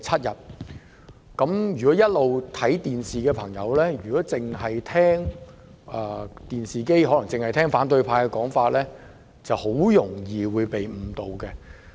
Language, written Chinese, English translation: Cantonese, 一直有收看電視直播的朋友若只聽反對派的說法，很容易會被誤導。, Those who have been watching the live television broadcast of this meeting would easily be misled if they only listen to the views of the opposition camp